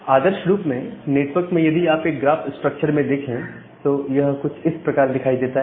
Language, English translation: Hindi, So, ideally a network if you look into it is graph structure, it will look something like this